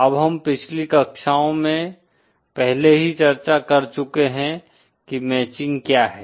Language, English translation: Hindi, Now we have already discussed what is matching in the previous classes